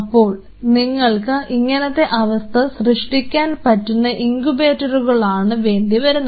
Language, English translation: Malayalam, So, you needed incubators of that kind where you can simulate those conditions